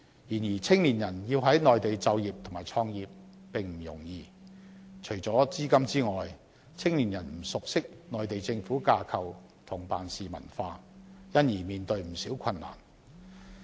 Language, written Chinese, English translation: Cantonese, 然而，青年人要在內地就業和創業並不容易，除了資金之外，他們不熟悉內地政府的架構及辦事文化，因而面對不少困難。, However it is not easy for young people to work and start a business on the Mainland . Apart from lacking funds young peoples inadequate understanding of the Mainland government structure and work culture has also posed many problems to them